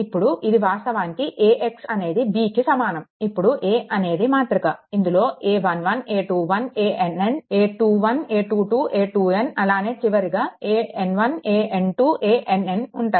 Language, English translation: Telugu, Now a is equal to your a matrix, this a 1 1, a 1 2, a 1 n, a 2 1, a 2 2, a 2 n then in a term a n 1, in throw a n 1, a n 2 a n n, right